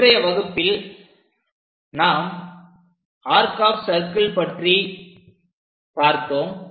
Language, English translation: Tamil, So, in today's lecture, we have covered this arc of circles method